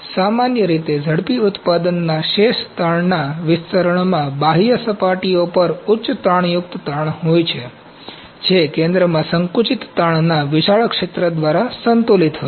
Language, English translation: Gujarati, In general, rapid manufacturing residual stresses distributions feature high tensile stresses at outer surfaces which are balanced by a large zone of compressive stresses in the center